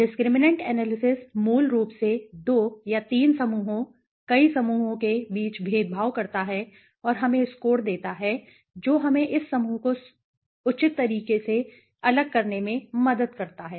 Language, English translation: Hindi, Discriminant analysis basically discriminates between 2 or 3 groups, right, multiple groups and gives us score that helps us to separate this groups in a proper way right